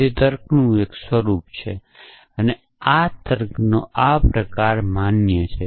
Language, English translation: Gujarati, It is form of reasoning this form of reasoning is valid essentially